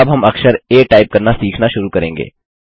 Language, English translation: Hindi, We will now start learning to type the letter a